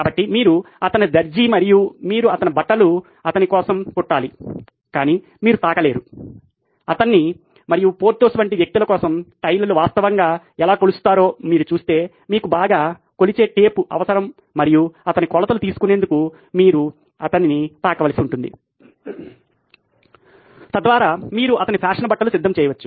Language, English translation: Telugu, So if you are his tailor and you have to get his clothes stitched for him, you cannot touch him and if you go by how tailors actually measure for a person like Porthos who’s well built and burly you are going to need a measuring tape and you are going to have to touch him to measure his dimensions, so that you can get his fashionable clothes ready